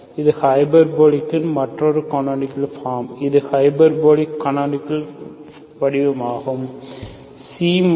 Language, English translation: Tamil, So this is another 2nd, another canonical form for hyperbolic, this is a hyperbolic canonical form